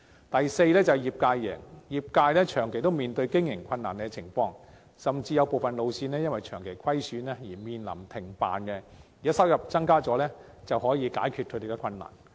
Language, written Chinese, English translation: Cantonese, 第四，業界贏，業界長期面對經營困難，甚至有部分路線因為長期虧損而面臨停辦，如果收入增加，便可望解決他們的困難。, Fourth the trade will win . As the trade has been facing operating difficulties and some routes may even have to cease operation due to persistent losses the possible increase of revenue may relieve the operators hardship